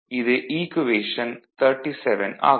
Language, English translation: Tamil, So, this is equation 35